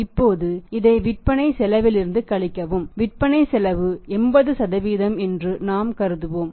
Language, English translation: Tamil, Now subtract from this cost of sales we assume that the cost of sales is 80% say in this case is 8000